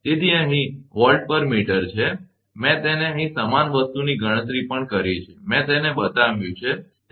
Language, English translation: Gujarati, So, volt per meter here, I have made it here also same thing calculation, I have made it, here right